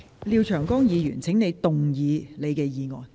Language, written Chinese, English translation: Cantonese, 廖議員，請動議你的議案。, Mr LIAO please move your motion